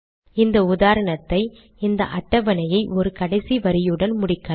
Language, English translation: Tamil, We will conclude this example, conclude this table with a last row